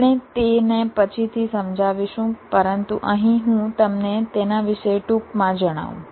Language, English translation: Gujarati, we shall explain it later, but here let me just briefly tell you about ah